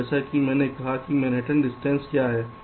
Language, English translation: Hindi, so, as i said, what is manhattan distance